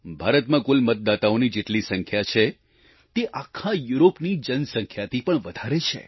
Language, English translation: Gujarati, The total number of voters in India exceeds the entire population of Europe